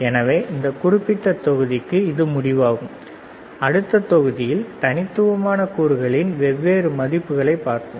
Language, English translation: Tamil, So, for this particular module, this is the end of this module, and the next module, we will look at the different values of the discrete components, all right